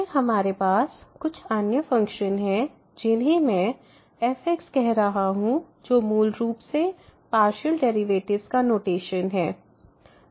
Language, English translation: Hindi, And then we have some other function which I am calling as which is basically the notation of this a partial derivatives